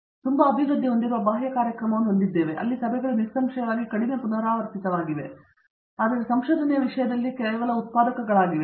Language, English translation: Kannada, And we also have a very thriving external program, where the meetings are obviously less frequent but are just as productive in terms of research